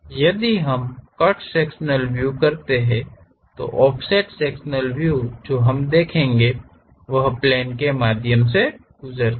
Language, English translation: Hindi, If we do that the cut sectional view, the offset cut sectional view what we will see is because of a plane pass through this